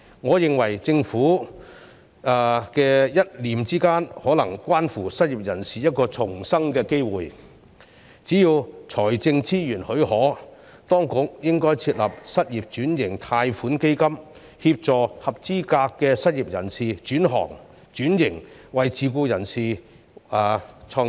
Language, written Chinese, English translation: Cantonese, 我認為政府的一念之間，便可能關乎失業人士一個重生的機會，只要財政資源許可，當局應設立失業轉型貸款基金，協助合資格失業人士轉行、轉型為自僱人士或創業。, In my view the Governments decision may be related to the chance for the unemployed to make a comeback . Hence as long as the fiscal resources permit the authorities should establish a loan fund for occupation switching to help eligible unemployed people to switch occupations switch to self - employment or start up their own businesses